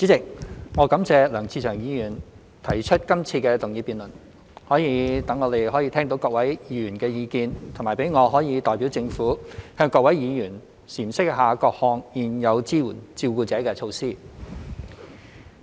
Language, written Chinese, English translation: Cantonese, 代理主席，我感謝梁志祥議員提出今次的議案，可以讓我們聽到各位議員的意見，以及讓我可代表政府向各位議員闡釋各項現有支援照顧者的措施。, Deputy President I would like to thank Mr LEUNG Che - cheung for proposing this motion so that we can listen to Members views and I can explain to Members various existing carer support measures on behalf of the Government